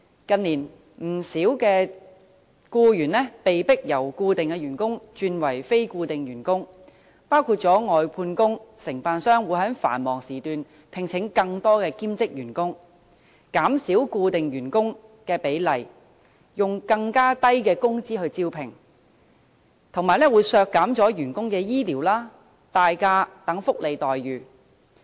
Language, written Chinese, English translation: Cantonese, 近年，不少僱員被迫由固定員工轉為非固定員工，外判員工的情況也一樣，承辦商會在繁忙時段聘請更多兼職員工，減少固定員工的比例，又以更低的工資進行招聘，同時削減員工的醫療和年假等福利待遇。, In recent years many employees have been forced to change their employment status from permanent staff to non - permanent staff and the same goes for workers of outsourced service . Contractors employ more workers on a part - time basis during peak hours in a bid to reduce the proportion of permanent staff or recruit employees at lower wages while at the same time cutting employees medical benefits annual leave and so on